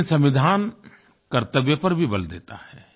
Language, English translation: Hindi, But constitution equally emphasizes on duty also